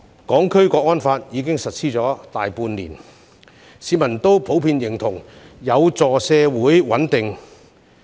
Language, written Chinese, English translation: Cantonese, 《香港國安法》已經實施大半年，市民普遍認同有助社會穩定。, The National Security Law has been implemented for more than half a year and members of the public generally consider it conducive to social stability